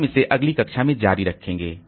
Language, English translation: Hindi, We'll continue with this in the next class